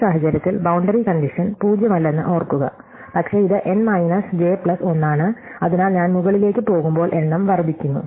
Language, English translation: Malayalam, So, in this case remember that the boundary condition is not zero, but it is n minus j plus 1, so as I go up, the number increases